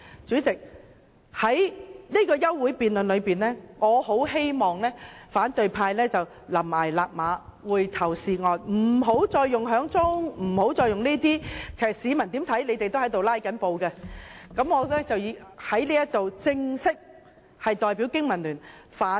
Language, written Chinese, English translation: Cantonese, 就這項休會待續議案而言，我很希望反對派懸崖勒馬，回頭是岸，不要再用點人數或提出議案會議進行，無論怎樣，市民都會覺得他們是在"拉布"。, As regards the adjournment motion I very much hope that the opposition camp will pull back before it is too late and return to the right track . They should stop requesting headcounts or proposing motions to disrupt the meeting . No matter what tactic is used members of the public will think that they are filibustering